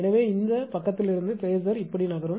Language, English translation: Tamil, So, phasor from this side will move like this